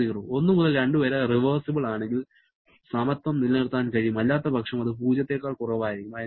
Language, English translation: Malayalam, If 1 to 2 is reversible, then the equality will hold, otherwise it will be that less than 0 thing